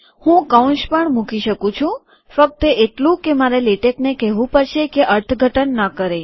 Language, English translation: Gujarati, I can also put braces, only thing is that I have to tell latex not to interpret